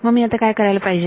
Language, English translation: Marathi, What do I do